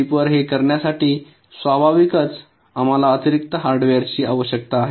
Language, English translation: Marathi, naturally, to do this on chip we need additional hardware